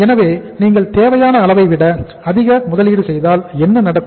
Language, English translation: Tamil, So if you make investment more than the required level so what will happen